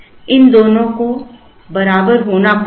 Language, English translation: Hindi, These two, will have to be equal